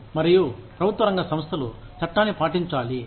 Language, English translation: Telugu, And, public sector organizations, have to follow the law